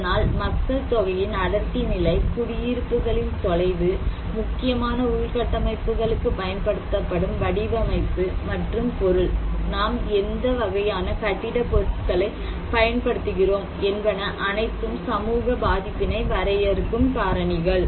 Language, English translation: Tamil, And so, population density levels, remoteness of the settlements, design and material used for critical infrastructures, what kind of building materials we are using so, these all define the physical factors of social vulnerability